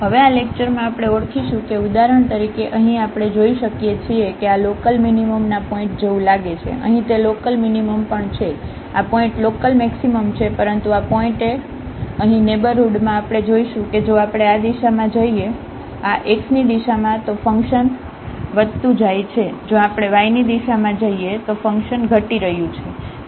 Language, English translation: Gujarati, And now in the this lecture, we will identify whether for example, here we can see that this looks like a point of local minimum, here also its a local minimum, these points are local maximum, but at this point here in the neighborhood of we see if we go in this direction, in the direction of this x, then the function is increasing if we go in the direction of y the function is decreasing